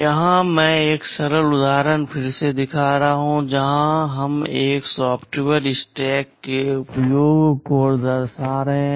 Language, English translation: Hindi, Here I am showing a simple example again where we are illustrating the use of a software stack